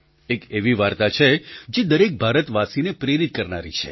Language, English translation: Gujarati, This is a story that can be inspiring for all Indians